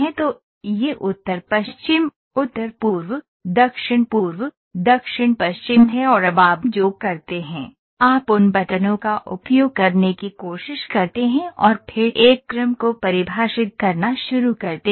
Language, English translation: Hindi, So, this is northwest, northeast, southeast, southwest right and now what you do is you try to use those buttons and then start defining a sequence